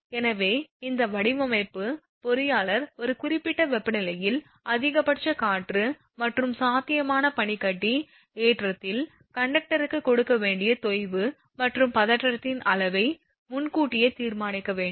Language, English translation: Tamil, Thus, a design engineer must determine in advance the amount of sag and tension to be given to the conductor at a given temperature maximum wind and possible ice loading